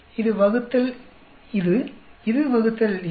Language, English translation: Tamil, This divided by this, this divided by this